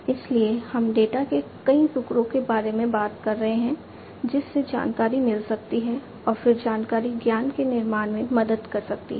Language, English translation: Hindi, So, we are talking about data, data you know several pieces of data can lead to information and then information can build help in building knowledge